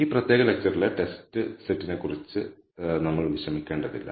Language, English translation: Malayalam, We will not worry about the test set in this particular lecture